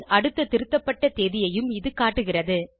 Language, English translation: Tamil, This means, it also shows the next edited date of the document